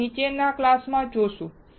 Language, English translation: Gujarati, We will see in following classes